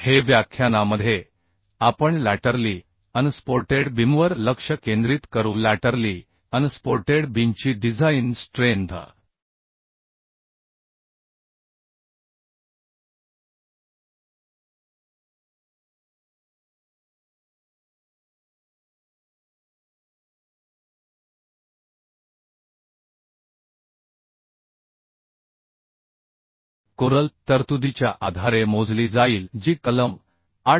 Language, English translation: Marathi, This lecture we will focus on laterally unsupported beam So design strength of laterally unsupported beam will be calculated based on the codal permissions which is given in clause 8